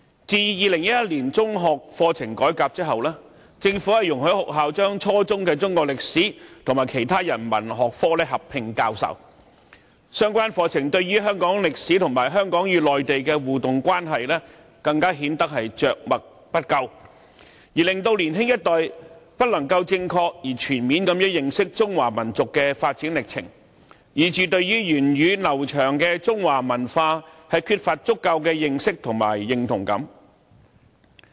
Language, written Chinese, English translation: Cantonese, 自2001年中學課程改革後，政府容許學校把初中的中史科和其他人文學科合併教授，相關課程對香港歷史及香港與內地的互動關係因而更顯得着墨不多，令年輕一代不能正確而全面地認識中華民族的發展歷程，致使他們對源遠流長的中華文化缺乏足夠的認識和認同。, Since the reform of the secondary school curriculum in 2001 the Government has permitted schools to teach Chinese History and other Humanities subjects at junior secondary level as a combined subject thus the contents of the relevant curriculum make scanty mention of Hong Kong history and the interactive relationship between Hong Kong and the Mainland rendering the younger generation unable to get to know the development process of the Chinese nation in a correct and comprehensive manner . As a result they lack understanding of the long - standing and well - established Chinese culture and are reluctant to identify with it